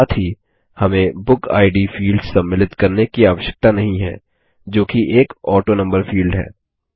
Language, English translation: Hindi, Also, we need not include the BookId field which is an AutoNumber field